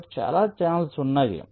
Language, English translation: Telugu, so there are so many channels